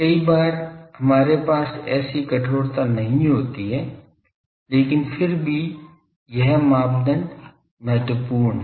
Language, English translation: Hindi, Many times we do not have such stringency, but still this criteria is important